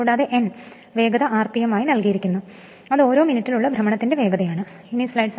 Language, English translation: Malayalam, And N that speed is given is rpm revolution per minute